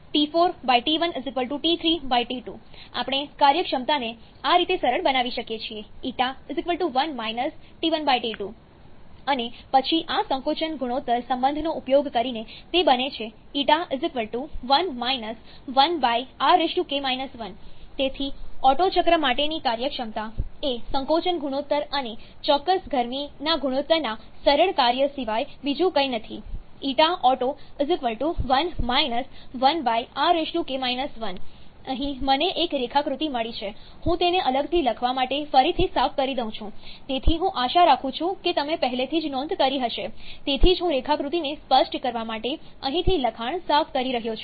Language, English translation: Gujarati, So, T1/T2 = T4/T3 or if we reunion them, we can write T4/T1 = T3/T2, now look at the expression for the efficiency so, how we can simplify this; that is T4/T1 = T3/T2, so this becomes just 1 – T1/T2 and then using this relation, it becomes 1 1/ r to the power k – 1, so the efficiency for an otto cycle is nothing but a simple function of the compression ratio and the ratio of specific heat, here I have got a diagram, let me erase it again to write separately so, I hope you have already noted down that is why I am clearing the text from here to make the diagram clear